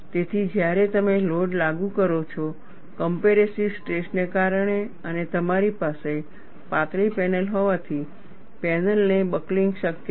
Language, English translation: Gujarati, So, when you apply the load, because of compressive stresses developed, and since you are having a thin panel, buckling of the panel is possible